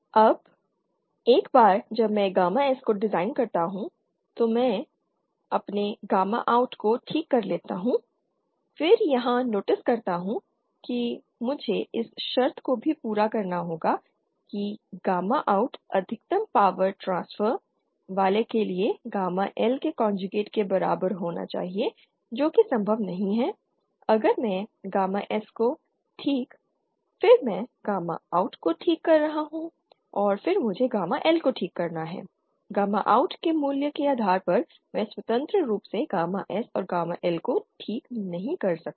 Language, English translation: Hindi, Now once I design gamma S I fix my gamma OUT if I fix my gamma OUT then notice here I also have to satisfy the condition that gamma OUT should be equal to the conjugate of gamma L for maximum power transfer that is not possible I if I fix gamma S then I am fixing gamma OUT and then I have to fix gamma L based on the value of gamma OUT I can’t independently fix gamma S and gamma L